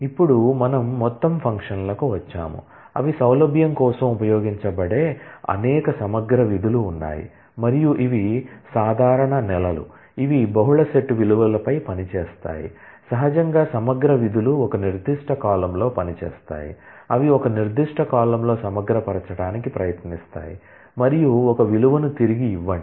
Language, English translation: Telugu, Now, we come to the aggregate functions, there are several aggregate functions they can be used for convenience and these are the common months, that operate on the multi set values naturally aggregate functions operate on a particular column they try to aggregate in a particular column and return a single value for example, average would be meaning, that you are trying to find average of the values of a particular column